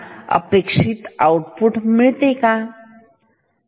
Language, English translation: Marathi, The desired output should be like this